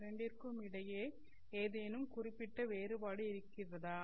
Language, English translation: Tamil, Is there any particular difference between the two